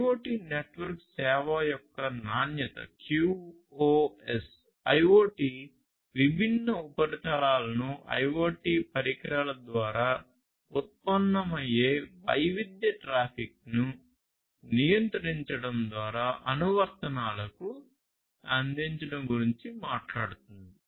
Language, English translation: Telugu, So, quality of service of IoT network talks about guarantees; guarantees with respect to offering different surfaces to the IoT applications through controlling the heterogeneous traffic generated by IoT devices